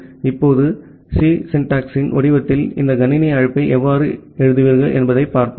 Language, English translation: Tamil, Now, let us look into that how you will actually write this system call in the format of a C syntax